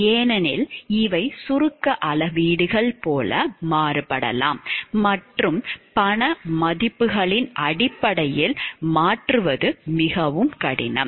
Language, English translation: Tamil, Because these are very you know like abstract measures and it is very difficult to convert it in terms of monetary values